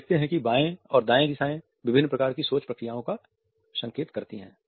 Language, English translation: Hindi, You would find that the left and right directions are indicative of different types of thinking procedures